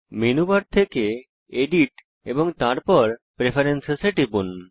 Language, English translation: Bengali, From the Menu bar, click on Edit and then Preferences